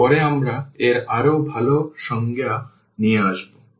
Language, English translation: Bengali, And, later on we will come up with more or a better definition of this